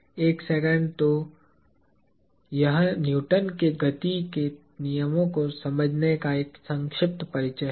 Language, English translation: Hindi, A second… So, this is kind of brief introduction to understanding Newton’s laws of motion